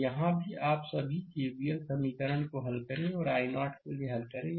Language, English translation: Hindi, So, here also, you please right your all K V L equation and solve for i 0